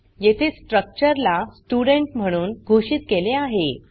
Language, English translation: Marathi, Here we have declared a structure as student